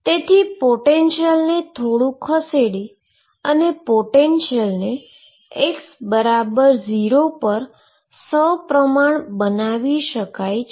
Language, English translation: Gujarati, So, by shifting the potential of something suppose I could make my potential symmetric about x equals 0